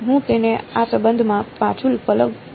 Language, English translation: Gujarati, I plug it back into this relation right